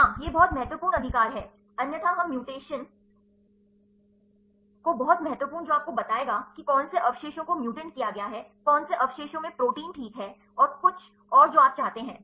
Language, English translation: Hindi, Yeah this is very important right otherwise we do not know the mutation very important that will tell you, work which residue is mutated to which residue in which protein this is fine and anything else do you want